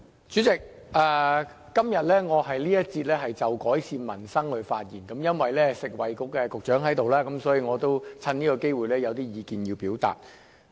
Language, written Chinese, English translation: Cantonese, 主席，今天我在這節辯論就改善民生發言，因為食物及衞生局局長在座，所以我想趁此機會表達意見。, President I am going to speak on improving peoples livelihood in this session . Since the Secretary for Food and Health is here I would like to take this opportunity to express my views